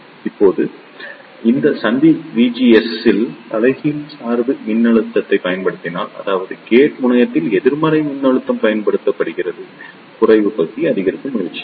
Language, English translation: Tamil, Now if you apply a reverse bias voltage at these junction V GS; that means, the negative voltage is applied at the gate terminal the depletion region will try to increase